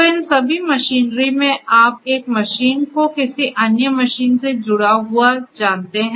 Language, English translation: Hindi, So, all these machinery to machinery you know one machine connected to another machine and so on